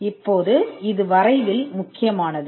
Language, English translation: Tamil, Now this is important in drafting